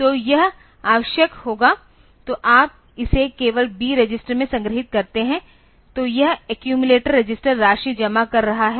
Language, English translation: Hindi, So, this will be necessary; so, you just store this in the B register then this accumulator register will be accumulating the sum